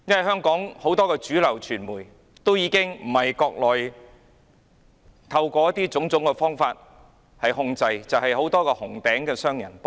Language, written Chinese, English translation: Cantonese, 香港很多主流傳媒不是被中國當局透過種種方法控制，而是被很多協助當局的紅頂商人控制。, Many of the mainstream media in Hong Kong are either controlled by the Chinese authorities through various means or controlled by red tycoons who side with the Chinese authorities